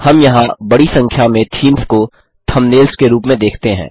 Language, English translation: Hindi, We see a large number of themes here as thumbnails